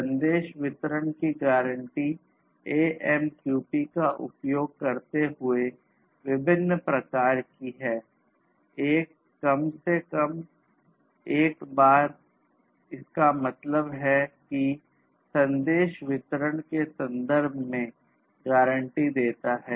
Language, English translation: Hindi, The message delivery guarantees are of different types using AMQP: one is at least once; that means, offering guarantees in terms of message delivery